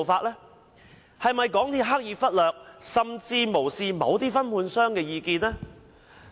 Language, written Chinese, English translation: Cantonese, 港鐵公司是否刻意忽略甚或無視某些分判商的意見？, Did MTRCL deliberately ignore or even disregard certain subcontractors views?